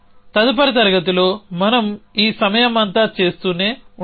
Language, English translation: Telugu, So, in the next class, we will try as we keep doing all these time